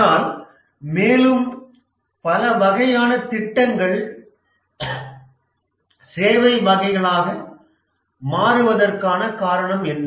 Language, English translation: Tamil, But what is the reason that more and more types of projects are becoming the services type of projects